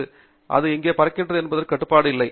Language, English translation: Tamil, And when it flies, you have no control on where it flies